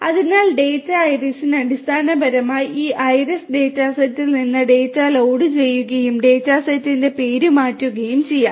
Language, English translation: Malayalam, So, data iris will basically load the data from this iris dataset and rename the data set can be done